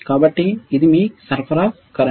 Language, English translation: Telugu, What is the supply current